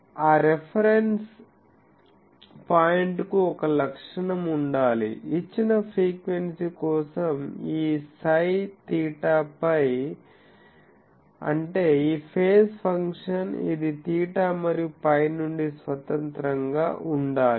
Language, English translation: Telugu, That reference point should have a characteristic that, for a given frequency this psi theta phi; that means, this phase function, this should be independent of theta and phi